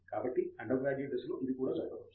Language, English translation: Telugu, So, it can even happen in the undergraduate stage